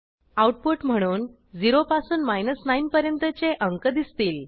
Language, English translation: Marathi, The output will consist of a list of numbers 0 through 9